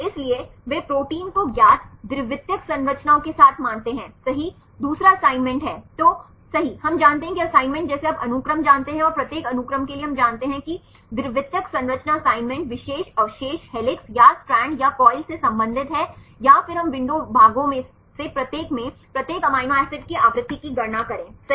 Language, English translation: Hindi, So, they consider the proteins with known secondary structures right with the second is assignment right then we know that assignment like you know sequence and for each sequence we know the secondary structure assignment right particular residues belongs to helix or strand or coil or turn then we calculate the frequency of each amino acid in each of the window portions